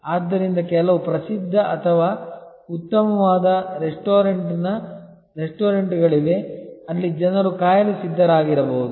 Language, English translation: Kannada, So, there are some very famous or fine dining restaurants, where people may be prepared to wait